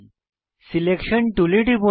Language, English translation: Bengali, Click on the Selection tool